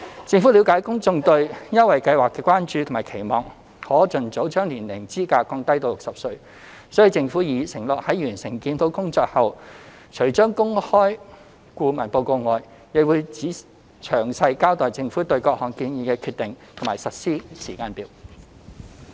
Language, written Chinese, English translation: Cantonese, 政府了解公眾對優惠計劃的關注和期望可盡早將年齡資格降低至60歲，所以政府已承諾在完成檢討工作後，除公開顧問報告外，亦會詳細交代政府對各項建議的決定和實施時間表。, Noting the public concern about the Scheme and expectation to lower the age eligibility to 60 as soon as possible the Government has undertaken to make public the consultants report and give detailed accounts of its decision on the various recommendations and implementation timetable after the review is completed